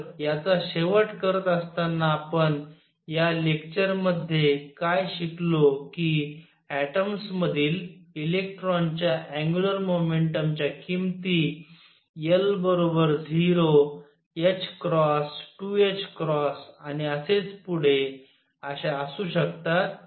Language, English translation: Marathi, So, to conclude this what we have learnt in this lecture is that angular momentum of electron in an atom could have values l equals 0, h cross, 2 h cross and so on